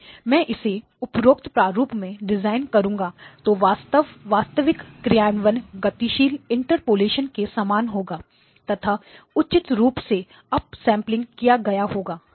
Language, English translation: Hindi, If I were to design it in this form, then the actual implementation will look like moving the interpolate; the up sampling appropriately